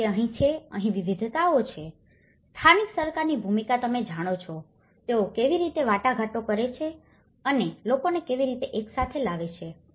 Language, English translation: Gujarati, So, that is where, here there is diversities, local governments role you know, how they negotiate and how they bring the people together